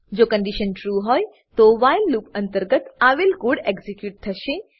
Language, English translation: Gujarati, If the condition is true, the code within the while loop will get executed